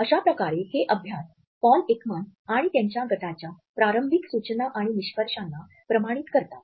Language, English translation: Marathi, So, these studies validate the initial suggestions and findings by Paul Ekman and his group